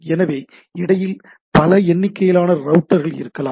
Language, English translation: Tamil, So, there can be n number of router in between